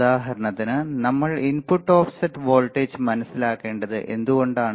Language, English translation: Malayalam, Why we need to understand input offset voltage drip